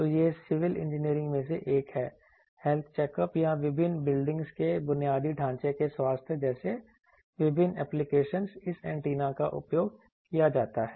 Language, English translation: Hindi, So, this is one in civil engineering various applications like health checkup or various buildings infrastructure health this antenna is used